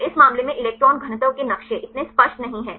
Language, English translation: Hindi, So, in this case the electron density maps are not so clear